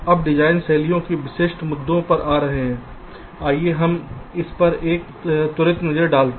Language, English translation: Hindi, coming to the design style specific issues, let us have a quick look at this